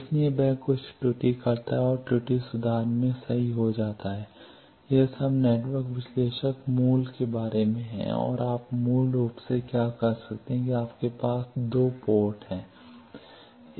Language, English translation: Hindi, So, that is why he commits some error that is get corrected in the error correction it was all about network analyzer is basics and what you can do basically with that you have two ports